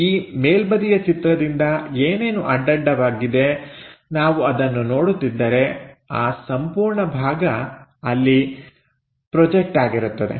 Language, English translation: Kannada, So, whatever these horizontal from top view, if we are looking at it, there is a entire thing projected there